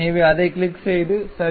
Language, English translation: Tamil, So, click that and ok